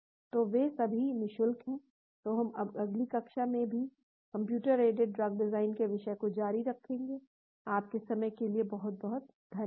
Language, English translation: Hindi, So, they are all free of charge , so we will continue more on the topic of computer aided drug design in the next class as well, thank you very much for your time